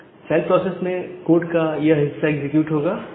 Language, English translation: Hindi, So, inside the child process this part of the code will get executed